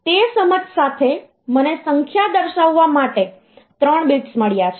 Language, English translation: Gujarati, So, with that understanding, I have got 3 bits to represent the number